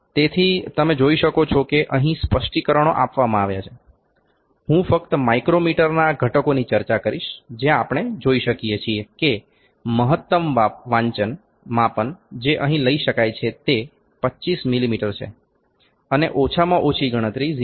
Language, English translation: Gujarati, So, you can see the specifications are given here, I will just discuss the components of the micrometer we can see that the maximum measurement that can be taken here is 25 mm and the least count is 0